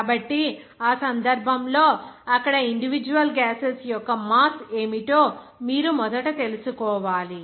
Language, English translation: Telugu, So in that case, you have first to know what would be the mass of individual gases there